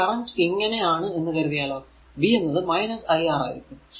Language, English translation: Malayalam, So, it will be positive so, v is equal to iR